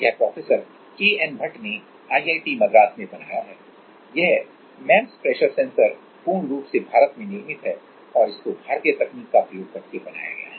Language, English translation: Hindi, So, this is Professor K N Bhat, but made in, IIT Madras; this MEMS pressure sensor is totally made in India and with using Indian technology